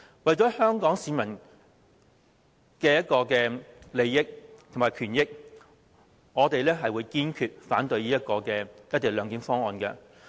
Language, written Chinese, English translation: Cantonese, 為了香港市民的利益和權益，我們會堅決反對"一地兩檢"方案。, In the interests and rights of Hong Kong people we are firmly against his cession - based co - location arrangement proposal